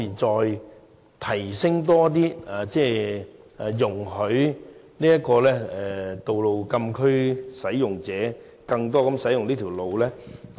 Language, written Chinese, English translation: Cantonese, 就此，政府會否考慮容許多些道路禁區使用者使用嶼南道呢？, In this connection will the Government consider allowing more road users in closed areas to use South Lantau Road?